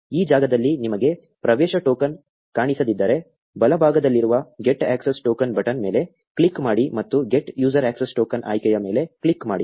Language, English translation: Kannada, If you do not see an access token in this space click on the get access token button on the right and click on the get user access token option